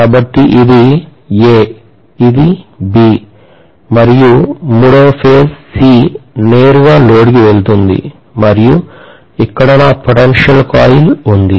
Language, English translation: Telugu, So this is A, this is B, and the third phase C is directly going to the load and here is my potential coil